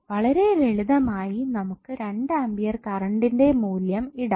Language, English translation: Malayalam, So you can simply put the value of 2 ampere